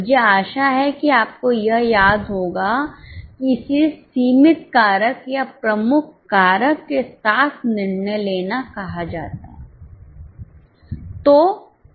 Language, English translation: Hindi, I hope you remember this is called as a decision making with limiting factor or a key factor